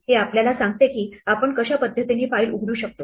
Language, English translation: Marathi, This tells us how we want to open the file